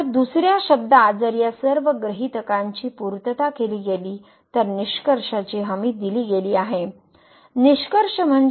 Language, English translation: Marathi, So, in other words if all these hypothesis these three hypotheses are met then the conclusion is guaranteed; conclusion means the prime is that is guaranteed